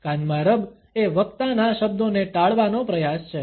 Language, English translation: Gujarati, The ear rub is an attempt to avoid the words of the speaker